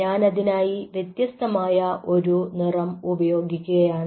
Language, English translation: Malayalam, so i am just putting a different color for your